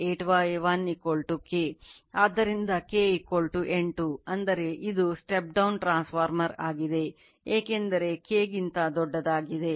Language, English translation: Kannada, So, K = 8; that means, it is a step down transformer because K greater than right